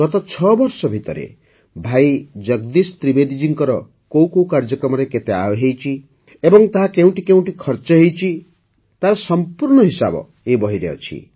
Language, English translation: Odia, The complete account of how much income Bhai Jagdish Trivedi ji received from particular programs in the last 6 years and where it was spent is given in the book